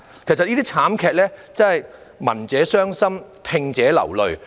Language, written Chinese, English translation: Cantonese, 其實對於這些慘劇，真是聞者傷心、聽者流淚。, In fact it is heartbreaking to hear of these tragedies